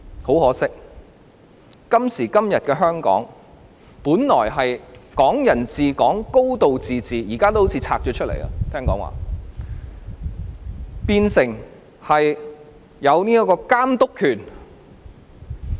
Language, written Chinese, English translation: Cantonese, 很可惜，今時今日的香港，本來應享有的"港人治港"和"高度自治"，聽說現在已好像被"分拆"出來，變相中央有監督權。, Unfortunately today in Hong Kong Hong Kong people ruling Hong Kong and a high degree of autonomy which we should be entitled to seem to have been ripped away thus giving the Central Government the right to oversee Hong Kong